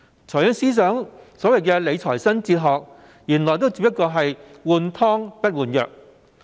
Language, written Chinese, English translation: Cantonese, 財政司司長的理財新哲學原來只不過是"換湯不換藥"。, The new fiscal philosophy of the Financial Secretary is actually nothing but just old wine in a new bottle